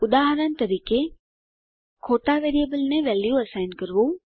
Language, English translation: Gujarati, For example, Assigning a value to the wrong variable